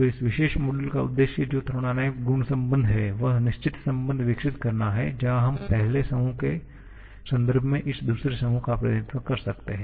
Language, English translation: Hindi, So, the objective of this particular module that is thermodynamic property relation is to develop certain relation where we can represent this second group in terms of the first group